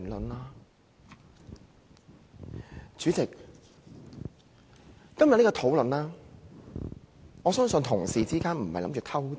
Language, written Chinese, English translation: Cantonese, 代理主席，對於今天這項討論，我相信同事並非想"偷襲"。, Deputy Chairman regarding the discussion today I trust Honourable colleagues have no intention of springing a surprise attack